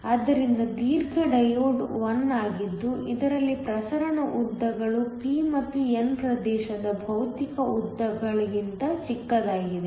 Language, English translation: Kannada, So, a long diode is 1 in which the diffusion lengths are smaller than the physical lengths of the p and n region